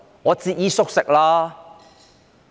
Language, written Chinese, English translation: Cantonese, 我正在節衣縮食。, I have been tightening my belt